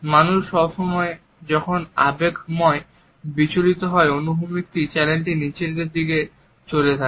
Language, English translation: Bengali, People when they are being emotional, upset, the feeling channel is down here